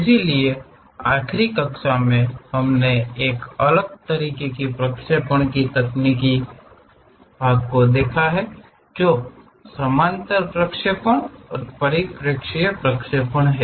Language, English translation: Hindi, So, in the last class, we have seen different kind of projection techniques namely the parallel projections and perspective projections